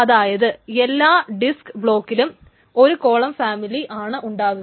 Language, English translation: Malayalam, So every disk block stores only a single column family